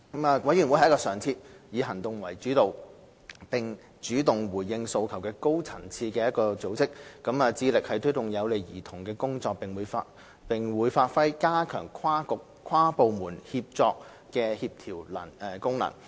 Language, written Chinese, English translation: Cantonese, 委員會是一個常設、以行動為主導，並主動回應訴求的高層次組織，致力推動有利兒童的工作，並會發揮加強跨局、跨部門協作的協調功能。, The Commission will be an ongoing action - oriented responsive and high - level body that will drive the work for the benefits of children and perform the coordinating role to enhance cross - Bureau and cross - departmental collaboration